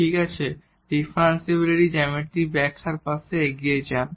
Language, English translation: Bengali, Well so, moving next to the geometrical interpretation of differentials